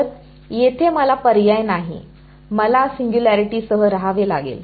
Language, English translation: Marathi, So, here I have no choice, I have to live with the singularities